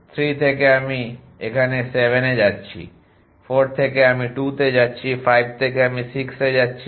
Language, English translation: Bengali, From 3 I am going to 7 here, from 4 I am going to 2, from 5 I am going to 6